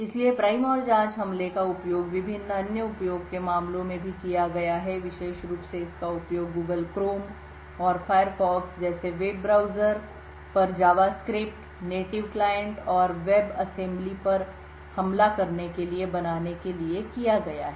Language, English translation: Hindi, So, the prime and probe attack has also been used in various other use cases especially it has been used to create to attack JavaScript, native client and web assembly on web browsers such as the Google Chrome and Firefox